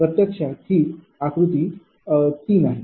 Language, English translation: Marathi, this is actually figure three somewhere